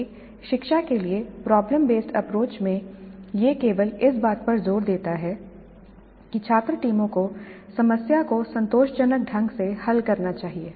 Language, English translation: Hindi, Whereas in the problem based approach to instruction, it only insists that the students teams must solve the problem satisfactorily